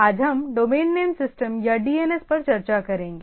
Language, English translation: Hindi, Today we will discuss on domain name system or DNS